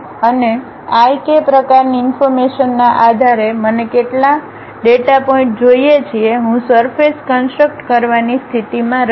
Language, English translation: Gujarati, And, based on my i, k kind of information how many data points I would like to have, I will be in a position to construct a surface